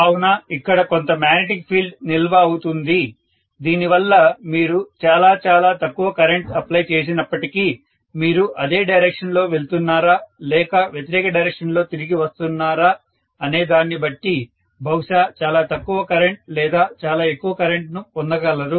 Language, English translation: Telugu, So, there will be some amount of retention of the magnetic field because of which even when you are applying very very minimal current, you may get the you know much smaller current or much larger current depending upon you are going in the same direction or coming back in the opposite direction